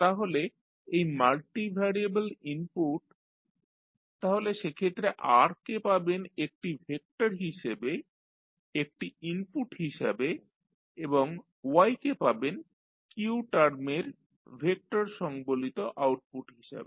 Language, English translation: Bengali, So, this Rs is multivariable input so you will have R as a vector as an input and Y as an output containing the vector of q terms